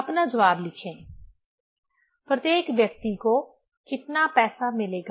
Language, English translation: Hindi, Write your answer, how much money each people will get